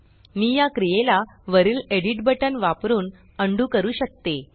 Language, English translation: Marathi, I can undo this operation, using the edit button at the top